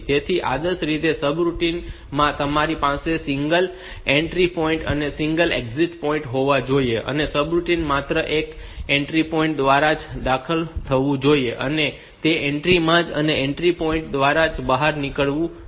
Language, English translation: Gujarati, So, ideally you should have a single entry point and single exit point in the subroutine, and the subroutine should be entered through that entry point only and it should be exited in that entry was through that entry point only